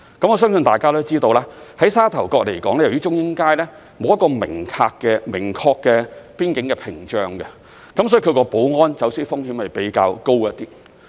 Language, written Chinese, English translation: Cantonese, 我相信大家都知道，就沙頭角而言，由於中英街沒有一個明確的邊境屏障，所以它的保安和走私風險較高。, I believe Members are aware that there is not a specific boundary barrier at Chung Ying Street of Sha Tau Kok . It thus poses a high security or smuggling risk